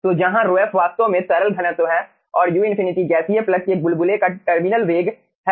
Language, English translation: Hindi, so where rhof is actually the liquid density, u infinity is the ah terminal velocity of the bubble of the gaseous plug